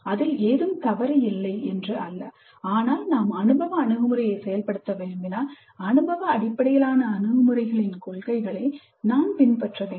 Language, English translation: Tamil, Not that there is anything wrong with it but when we wish to implement experiential approach we must follow the principles of experience based approach